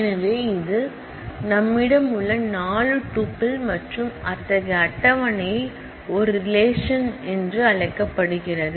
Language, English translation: Tamil, So, this is a 4 tuple that we have and such a table is called a relation is as simple as that